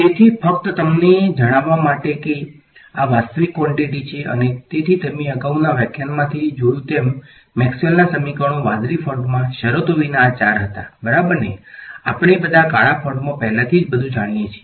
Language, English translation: Gujarati, So, just to tell you that these are real quantities and so as you saw from the previous lecture, Maxwell’s equations were these four without the terms in the blue font ok, we all know everything in the black font already